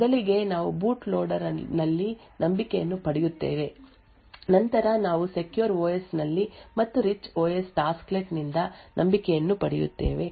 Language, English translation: Kannada, First we obtain trust in the boot loader then we obtain trust in the secure OS and from the, the rich OS tasklet and so on